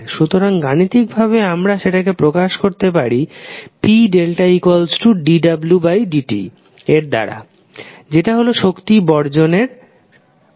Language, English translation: Bengali, So, in mathematical terms we can represent it like p is equal to dw by dt that is rate of change of energy